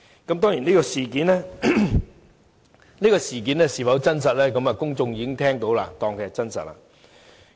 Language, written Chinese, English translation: Cantonese, 至於這事件是否真實，公眾已經聽到，就會當作是真實。, Speaking of whether the case was in fact an actual one I would think that after hearing the story the public will tend to regard it as an actual case